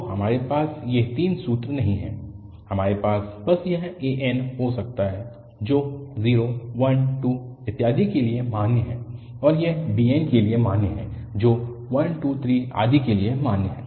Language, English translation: Hindi, So, we do not have to have these three formulas, we can have just this an which is valid for 0, 1, 2, and so on, and this bn which is valid for 1, 2, 3, and so on